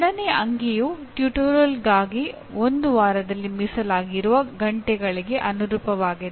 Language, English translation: Kannada, Second digit corresponds to the hours per week for tutorial